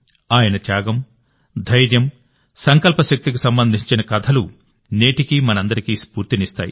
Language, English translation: Telugu, The stories related to his sacrifice, courage and resolve inspire us all even today